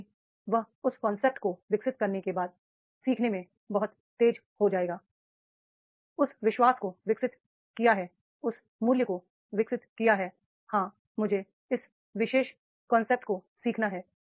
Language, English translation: Hindi, It is that he will be very fast in learning once he developed that concept, developed that belief, develop that value that is yes, I have to learn this particular concept